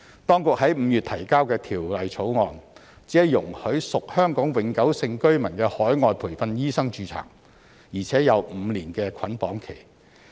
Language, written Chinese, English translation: Cantonese, 當局在5月提交的《條例草案》，只容許屬香港永久性居民的海外培訓醫生註冊，而且有5年的捆綁期。, The Bill introduced by the authorities in May only allows overseas - trained doctors who are Hong Kong Permanent Residents HKPRs to register and there is a five - year restrictive period